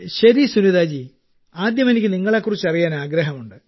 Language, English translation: Malayalam, Okay Sunita ji, at the outset, I wish to know about you; I want to know about your family